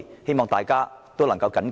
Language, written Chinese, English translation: Cantonese, 希望大家能緊記這一點。, I hope we can all keep this in mind